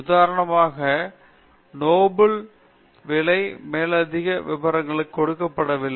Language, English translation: Tamil, For example, Nobel price is not given to upstarts